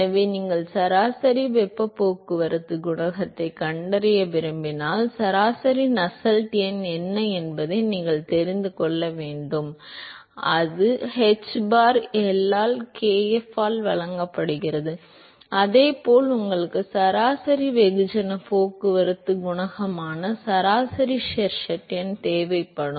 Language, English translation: Tamil, So, if you want to find average heat transport coefficient then you need to know what is the average Nusselt number and that is given by hbar L by kf and similarly you will require the average Sherwood number which is average mass transport coefficient divided by multiplied by L divided by the corresponding diffusivity